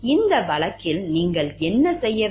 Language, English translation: Tamil, In this case what you are supposed to do